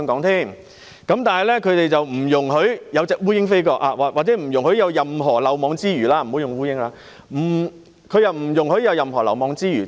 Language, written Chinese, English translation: Cantonese, 他們不容許有蒼蠅飛過——我不應以蒼蠅作比喻——他們不容許有任何漏網之魚。, They will not allow even just a fly to get past―I should not use a fly as an analogy . They will not allow any fish to escape from the net so to speak